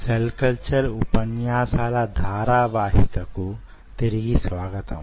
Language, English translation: Telugu, welcome back to the lecture series in cell culture